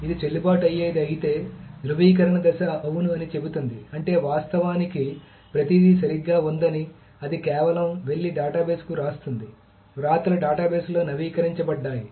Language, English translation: Telugu, If it is valid, so the validation phase says yes, then that means that everything was actually correct, then it just simply goes and writes to the database